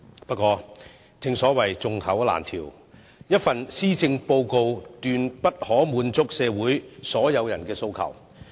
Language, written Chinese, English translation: Cantonese, 不過，正所謂眾口難調，一份施政報告不可能滿足社會上所有人的訴求。, However it is difficult to suit all tastes and it is impossible to meet the aspiration of everyone in society merely with this Policy Address